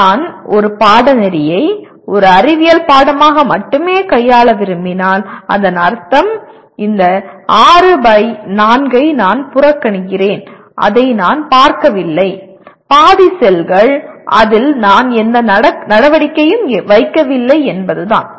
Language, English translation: Tamil, If I choose to deal with the course purely as a science course, then I am ignoring, I am not looking at this 6 by 4 that is half the cells I am not putting any activity in that